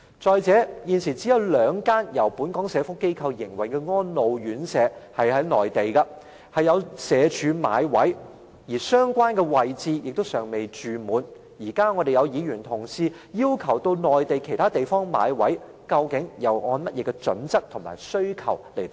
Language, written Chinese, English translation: Cantonese, 再者，現時內地只有兩間由本港社福機構營運的安老院舍社署有買位，而且相關舍位尚未滿額，議員今天要求社署到內地其他地方買位，究竟他們按甚麼準則提出這要求呢？, Moreover SWD has been purchasing residential care places from two Mainland elderly care homes operated by Hong Kong welfare organizations and these homes still have vacant places available . Members request SWD to purchase residential care places in other places in the Mainland . What criteria do they base their request on?